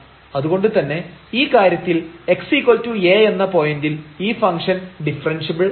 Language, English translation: Malayalam, So, in this case the function is not differentiable at x is equal to A